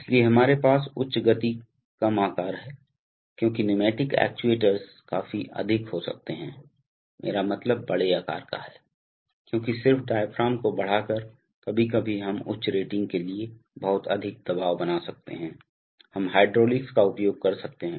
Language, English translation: Hindi, So we have higher speed lower size because pneumatic actuators can be of quite high, I mean of larger size because by just by increasing the diaphragm sometimes we can create a lot of pressure for even higher ratings, we can use hydraulics